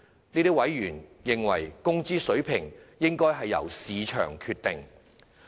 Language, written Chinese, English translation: Cantonese, 這些委員認為工資水平應由市場決定。, These members consider that the wage level should be determined by the market